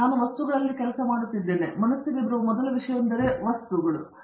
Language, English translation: Kannada, I works in materials, so the first thing that comes to mind is the new type of materials which are coming in